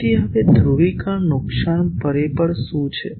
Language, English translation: Gujarati, So, now what is polarisation loss factor